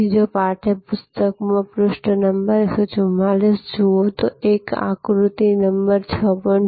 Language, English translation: Gujarati, So, if you look at page number 144 in the text book, there is a figure number 6